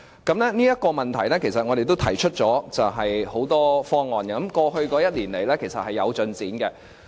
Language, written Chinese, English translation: Cantonese, 就這個問題，其實我們都提出了很多方案，過去一年來是有進展的。, Regarding this problem we have indeed proposed a lot of plans and things have been moving ahead over the past year